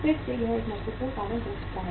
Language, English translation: Hindi, Again that could be the one important reason